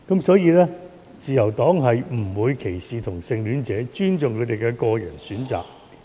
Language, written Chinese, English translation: Cantonese, 當然，自由黨不會歧視同性戀者，會尊重他們的個人選擇。, Certainly the Liberal Party will not discriminate against homosexual people . We will respect their personal choices